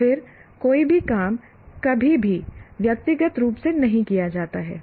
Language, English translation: Hindi, And then no job is ever done individually